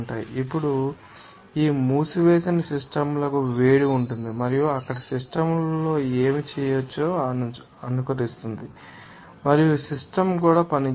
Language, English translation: Telugu, Now, to these closed systems will be heat will be in and out there simulate what can be done on the system and work will be done by the system also